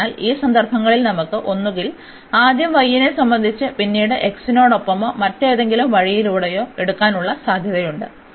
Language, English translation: Malayalam, So, in this cases we have either the possibility of taking first with respect to y, then with respect to x or the other way round